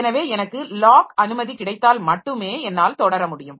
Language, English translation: Tamil, So, if I get the lock permission then only I should be able to proceed